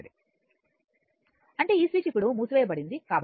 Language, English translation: Telugu, That means this switch is closed now